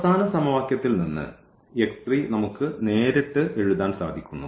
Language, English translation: Malayalam, So, the solution will be from the last equation we can directly write down our x 3